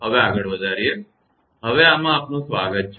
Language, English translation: Gujarati, Welcome back to this now